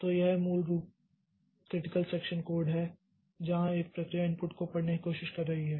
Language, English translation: Hindi, So, that is basically a critical section of code where a process is trying to read the input